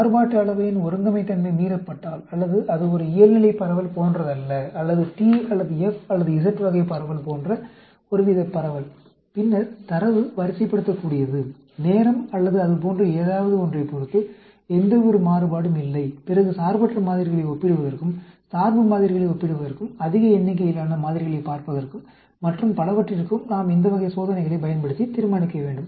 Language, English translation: Tamil, If the homogeneity of variance is violated, or it is not like a normal distribution, or some sort of a distribution like t, or f, or z type of distribution, and then, the data is ordinal, there is no variation with respect to time or something like that, then we need to use these type of tests to determine, for comparing independent samples, comparing dependent samples, looking at large number of samples, and so on, actually